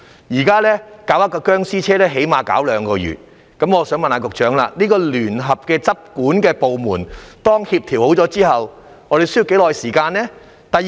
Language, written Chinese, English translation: Cantonese, 現時處理一輛"殭屍車"至少花2個月時間，我想問局長，當聯合執管部門協調好後，需要多長時間處理呢？, When it takes us at least two months to dispose of a zombie vehicle these days may I ask the Secretary how long it will take to dispose of it after the enforcement departments have been coordinated?